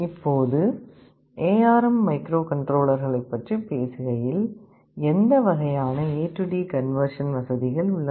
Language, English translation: Tamil, Now, talking about the ARM microcontrollers, what kind of A/D conversion facilities are there